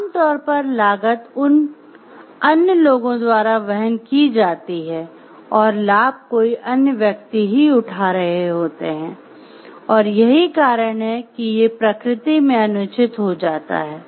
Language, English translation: Hindi, Generally, costs are borne by other people and benefits are taking for some other person and that is why these becomes unfair in nature